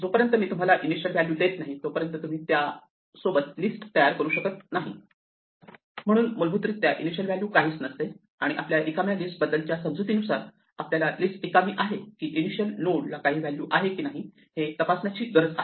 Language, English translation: Marathi, The initial value is by default none unless I provide you an initial value in which case you create a list with that value and because of our assumption about empty list all we need to do to check whether a list is empty is to check whether the value at the initial node is none or not